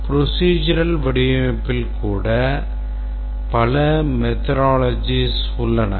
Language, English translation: Tamil, Even in the procedural design there are several methodologies